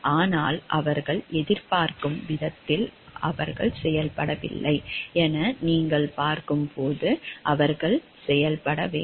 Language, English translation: Tamil, But when you see like they are not performing in an expected way that they need to perform